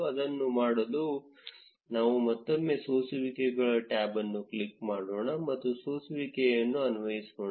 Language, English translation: Kannada, To do that, let us click on the filters tab again, and apply a filter